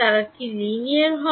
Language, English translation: Bengali, Are they linear